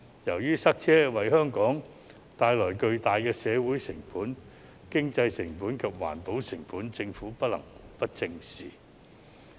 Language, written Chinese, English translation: Cantonese, 由於塞車為香港帶來巨大的社會成本、經濟成本及環保成本，政府不能不正視。, As traffic congestion has incurred huge social economic and environmental costs to Hong Kong the Government cannot turn a blind eye to it at all